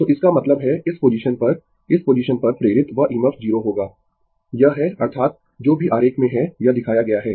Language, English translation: Hindi, So that means, at this position that EMF induced at this position will be 0, it is that is whatever in the diagram it is shown